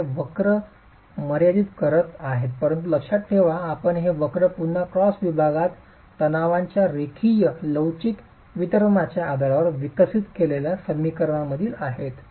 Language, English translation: Marathi, So, these are limiting curves but mind you these curves are again from the equations that we have developed based on linear elastic distribution of stresses in the cross section